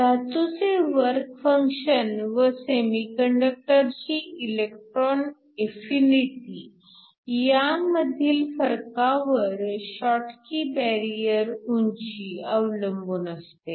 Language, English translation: Marathi, The schottky barrier height depends upon the difference between the work function of the metal and the electron affinity of the semiconductor